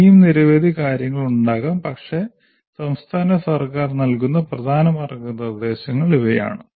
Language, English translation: Malayalam, There may be many more, but these are the main guidelines that the state government gives